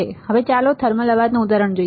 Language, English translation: Gujarati, Now, let us see about example of a thermal noise